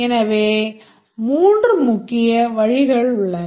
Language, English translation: Tamil, There are three main approaches